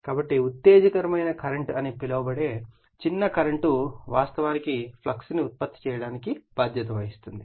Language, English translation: Telugu, So, small current called exciting current will be responsible actually for you are producing the flux